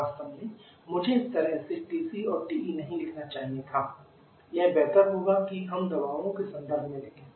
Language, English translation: Hindi, Actually, I should not have written this TC and TE this way it will be better if we write in terms of the pressures